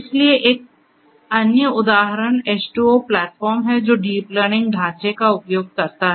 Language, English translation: Hindi, So, another example is H2O platform that also uses the deep learning framework